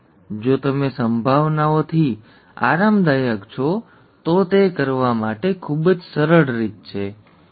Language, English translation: Gujarati, Whereas, if you have, if you are comfortable with probabilities, that is a much easier way to do, okay